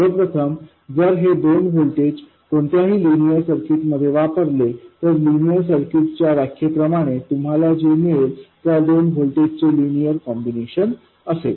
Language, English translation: Marathi, First of all, if you throw these two voltages into any linear circuit, what you get will be a linear combination of the two voltages